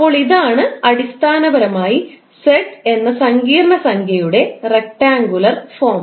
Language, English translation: Malayalam, So, this is basically the rectangular form of the complex number z